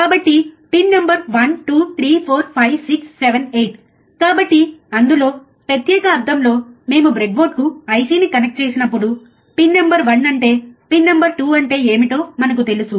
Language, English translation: Telugu, So, pin number 1, 2, 3, 4, 5, 6, 7, 8 so, in that particular sense, when we connect the IC to the breadboard, we know what is pin number one what is pin number 2, alright